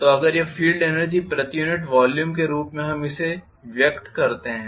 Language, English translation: Hindi, So if this is the field energy per unit volume as we just express it